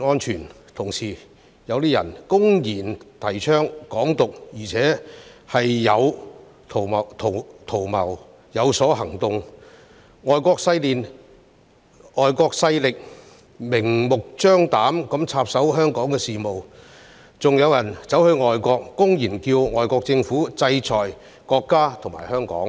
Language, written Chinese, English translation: Cantonese, 此外，有人公然提倡"港獨"圖謀之餘，亦有所行動，外國勢力更藉機明目張膽地插手香港的事務；也有人走到外國，公然叫外國政府制裁國家和香港。, In addition while openly advocating independence of Hong Kong some people have also proceeded to take actions accordingly . Foreign forces have even taken the opportunity to interfere blatantly in Hong Kongs affairs . Besides some people have also gone abroad and openly asked governments of foreign countries to impose sanctions on the State and Hong Kong